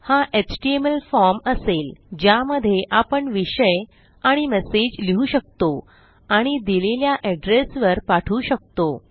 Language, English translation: Marathi, This will be in an HTML form in which you can write a subject and a message and send to a specified address